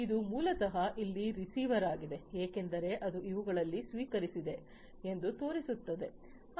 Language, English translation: Kannada, So, this is basically you know the receiver over here as you can see it is showing that it had received these